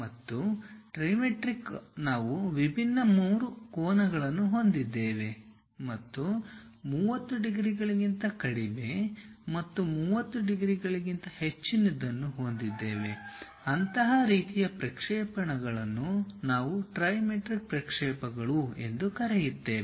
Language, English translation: Kannada, And, in trimetric we will have different three angles and something like less than 30 degrees and more than 30 degrees, such kind of projections we call trimetric projections